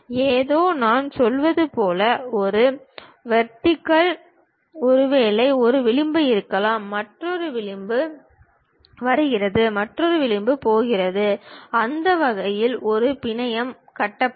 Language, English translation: Tamil, Something, like if I am saying this is the vertex perhaps there might be one edge, another edge is coming, another edge is going; that way a network will be constructed